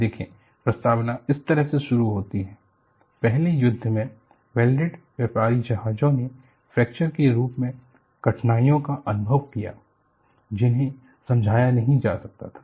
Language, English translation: Hindi, See, the foreword starts like this, ‘early in the war, welded merchant vessels experienced difficulties in the form of fractures, which could not be explained